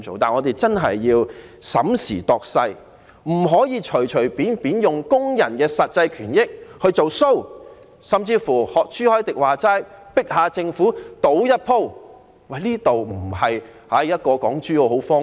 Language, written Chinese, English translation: Cantonese, 我們會認真審時度勢，不能隨便用工人的實際權益來"做 show"， 或甚至如朱凱廸議員所說，要迫政府賭一局。, We will carefully consider the prevailing circumstances and will not casually exploit workers rights and interests to put up a show or even compel the Government to bet with us as suggested by Mr CHU Hoi - dick